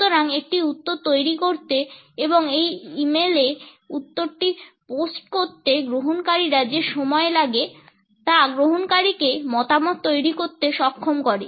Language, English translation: Bengali, So, the time it takes the receiver to form a reply and to post this reply to an e mail enables the receiver to form opinions